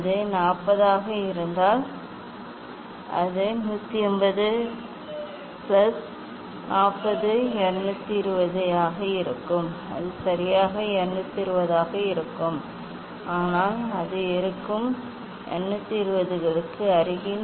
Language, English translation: Tamil, if it is 40 it will be 180 plus 40 220 it may not be exactly 220, but it will be close to the 220s